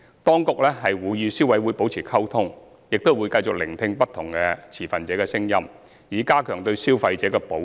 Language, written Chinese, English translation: Cantonese, 當局會與消委會保持溝通，亦會繼續聆聽不同持份者的聲音，以加強對消費者的保障。, While maintaining communication with CC the authorities will also continue listening to the views of different stakeholders so as to strengthen the protection for consumers